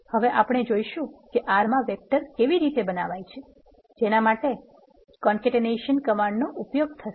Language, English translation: Gujarati, If you want to see an example the way you creating vector in R is using the concatenation command that is C